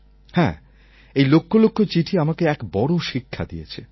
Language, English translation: Bengali, These lakhs of letters did teach me something more